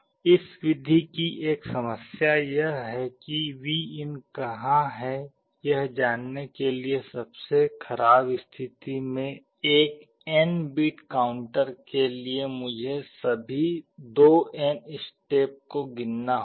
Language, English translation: Hindi, One problem with this method is that in the worst case for an n bit counter I may have to count through all 2n steps to find where Vin is